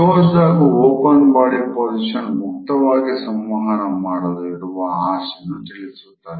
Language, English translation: Kannada, The closed and open body positions indicate our desire to interact openly with other people